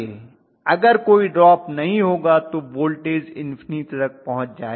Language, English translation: Hindi, If there is no drop, the voltage should have reach to an infinity, obviously